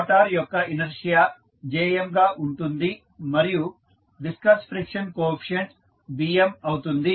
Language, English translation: Telugu, Motor inertia is jm and viscous friction coefficient is Bm